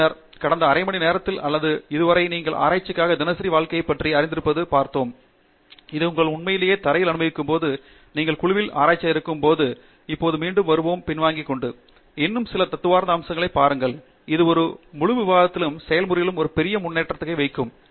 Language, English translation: Tamil, Then, we have through the past half hour or so looked at lot of you know mundane day to day aspects of research, which is what you will actually experience on the ground, when you are researcher in a group and right now, we will again step back and look at a few more philosophical aspects which will help us put a larger perspective on the whole discussion and the process and with that we will close